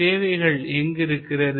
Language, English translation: Tamil, Where is the service